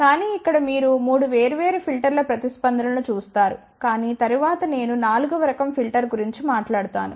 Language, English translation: Telugu, But here you see the responses of 3 different filters, but later on I will also talk about the 4th type of the filter also